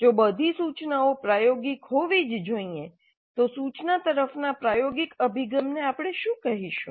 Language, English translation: Gujarati, If all instruction must be experiential, what do we call as experiential approach to instruction